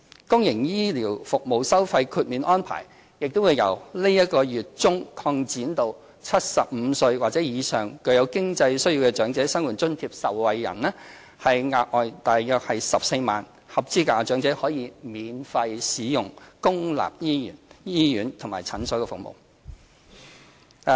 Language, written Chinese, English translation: Cantonese, 公營醫療服務收費豁免安排亦將由本月中擴展至75歲或以上較有經濟需要的長者生活津貼受惠人，額外約14萬名合資格長者可以免費使用公立醫院和診所服務。, From the middle of this month onwards we will also extend the fee waiver for public health care services to cover OALA recipients aged 75 or above with more financial needs with a view to benefiting another 140 000 eligible elderly persons giving them free access to public hospital and clinic services